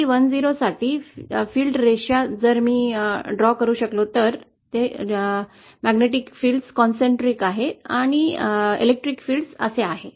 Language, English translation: Marathi, So for TE 10, the field lines, if I can draw them, the magnetic field are concentrate like this and the electric field are like this